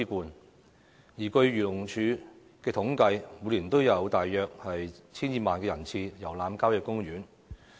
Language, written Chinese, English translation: Cantonese, 據漁農自然護理署的統計，每年都有大約 1,200 萬人次遊覽郊野公園。, According to the statistics from the Agriculture Fisheries and Conservation Department the number of visitor arrivals to country parks is about 12 million every year